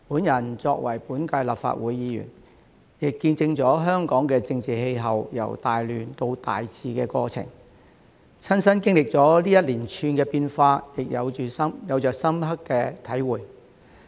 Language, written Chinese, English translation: Cantonese, 我作為本屆立法會議員，亦見證了香港的政治氣候由大亂到大治的過程，親身經歷這一連串的變化，有着深刻的體會。, As a Member of the current Legislative Council I have also gained profound insights from witnessing the transition of Hong Kongs political climate from great chaos to firm stability and personally experiencing this cascade of changes